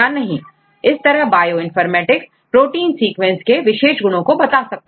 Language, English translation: Hindi, So, how the Bioinformatics help in protein sequence